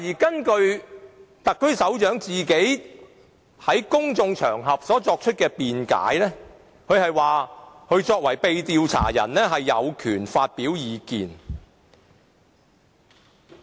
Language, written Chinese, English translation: Cantonese, 根據特區首長在公眾場合作出的辯解，他作為被調查者有權發表意見。, According to the arguments presented by the head of the SAR on public occasions as the subject of inquiry he has the right to express views